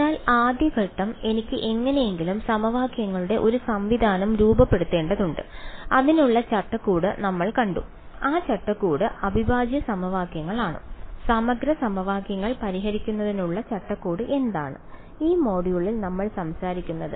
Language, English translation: Malayalam, So, first step 1 I have to somehow get into formulating a system of equations and we have seen the framework for it and that framework is integral equations what is the framework for solving integral equations, we have we are talking about in this module